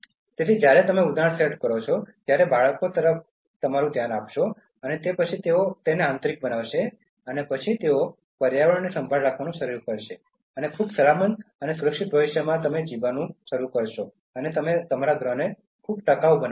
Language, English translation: Gujarati, So, when you set examples, the children will look up to you and then they will internalize, and then they will start caring for the environment and start living in a very safe and secured future and make this planet very sustainable